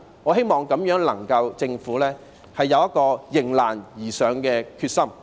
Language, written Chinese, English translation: Cantonese, 我希望政府能夠有迎難而上的決心。, I hope the Government can have the determination to rise to challenges